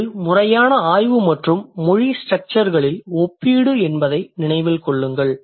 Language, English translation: Tamil, This is the systematic study and the comparison of language structures